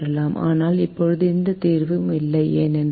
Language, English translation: Tamil, but right now there is no solution because a one is equal to four